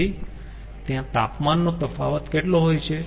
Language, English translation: Gujarati, so what is the difference of temperature